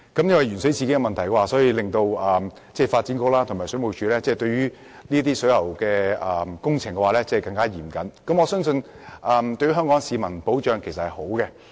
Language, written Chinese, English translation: Cantonese, 鉛水事件的發生，促使發展局和水務署對水喉工程的監管更加嚴謹，我相信這對保障香港市民來說是好事。, The incident has impelled the Development Bureau and WSD to impose more stringent supervision on plumbing works . I trust this is conductive to safeguarding the people of Hong Kong